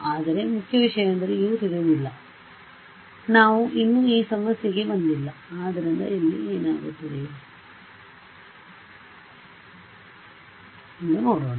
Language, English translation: Kannada, But the main thing is that U is not known, we have not yet come to that problem; so, let us see what happens here